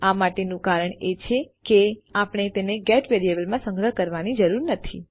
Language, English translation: Gujarati, The reason for this is that we dont need to store it in a GET variable